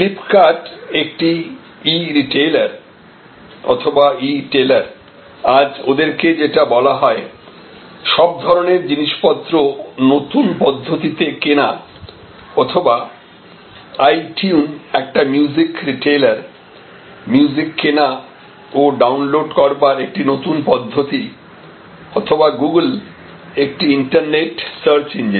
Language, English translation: Bengali, Flip kart is an E retailer or E tailer as they called, new way to buy goods or different other kinds of all kinds of goods today or itune a music retailer, new way of buying and downloading music or Google, the internet search engine